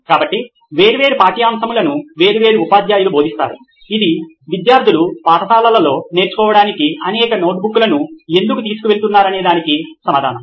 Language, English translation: Telugu, So different subjects are taught by different teachers that would be the answer to why students are carrying several notebooks for learning in school